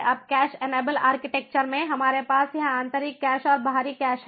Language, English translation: Hindi, now in the cache enabled architecture we have this internal cache and the external cache